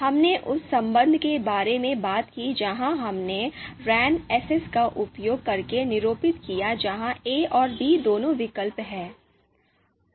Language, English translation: Hindi, We talked about the outranking relation where you know we denoted using ‘a S b’ where a and b are both alternatives